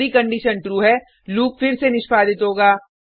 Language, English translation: Hindi, If the condition is true, the loop will get executed again